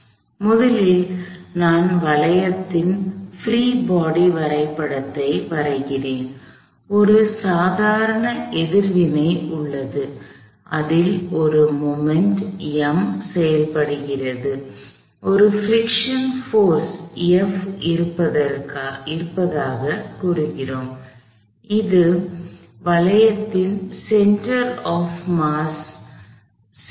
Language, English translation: Tamil, So, first of all I draw a free body diagram of the hoop, there is a normal reaction, there is a moment M that acts on it, they told there is a friction force F, this is center of mass of the hoop